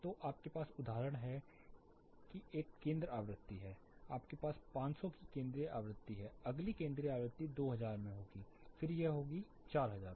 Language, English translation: Hindi, So, you have a center frequency for example, you have a central frequency of 500, the next central frequency would be into 2000, then it would be 2000, 4000